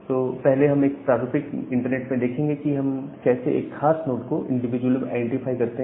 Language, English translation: Hindi, So, first we will look into that at a typical internet how we individually identify a particular node